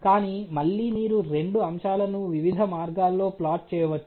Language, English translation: Telugu, But again you can plot both the aspects in a different manners, you know